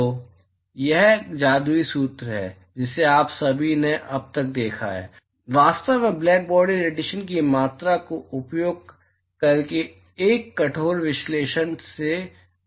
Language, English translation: Hindi, So, this magical formula, that all of you have seen so far, actually comes from a rigorous analysis, by using the quantification of Blackbody radiation